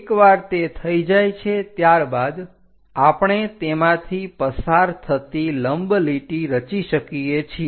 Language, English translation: Gujarati, Once V is done, we can construct a perpendicular line passing through